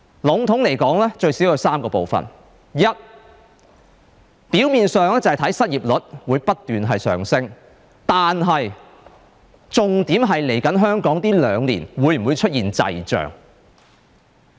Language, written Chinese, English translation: Cantonese, 籠統來說，最少有3部分：第一，表面上，失業率會不斷上升，但重點是香港在稍後兩年會否出現滯脹。, Roughly speaking there are at least three parts of it . First on the surface the unemployment rate will continue to increase; but the key hinges on whether Hong Kong will experience stagflation in the coming two years